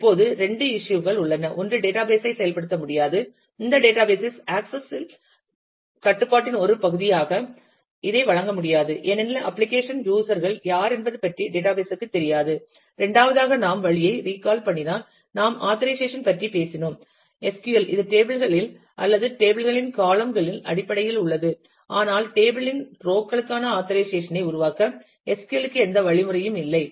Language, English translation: Tamil, Now, two issues are one is the database cannot implement, this database cannot provide this as a part of access control because, database has no idea about who the application users are, and the second if you recall the way, we talked about authorization in SQL, that is in terms of tables or columns of the tables, but SQL has no mechanism to create authorization for rows of the table